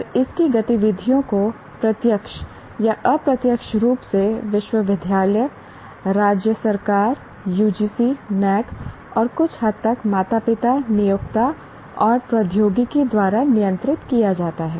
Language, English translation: Hindi, And the activities of this are directly or indirectly controlled by the university, state government, UGC, NAC, and to a certain extent parents, employers, and technology is used by the institution